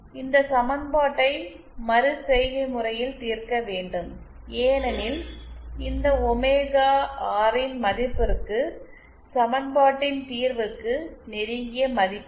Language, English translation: Tamil, This equation has to be solved iteratively because there is no close form the value for this omega R